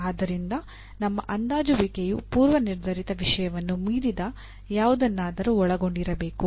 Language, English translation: Kannada, So your assessment should include something which is beyond the predetermined content